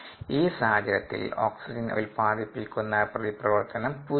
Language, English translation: Malayalam, there is no reaction that is generating oxygen